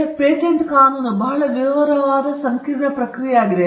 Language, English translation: Kannada, And Patent prosecution, is a very detailed and sometimes a complicated process